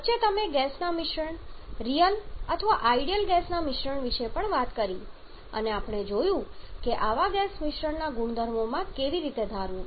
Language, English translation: Gujarati, In between you have also talked about the mixture of gaseous mixture of real or ideal gaseous and we have seen how to assume in the properties of such gas mixtures